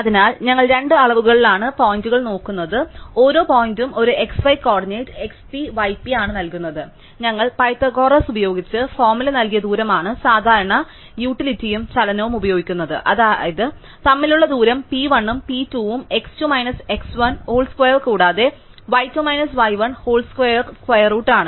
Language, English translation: Malayalam, So, formally we are looking at points in two dimensions, so each point is given by an x y coordinate x p, y p and we are using the usual Euclidian notion of distance that is the distance given by Pythagoras used formula, which is that the distance between p 1 and p 2 is the square root of x 2 minus x 1 whole square plus y 2 minus y 1 whole square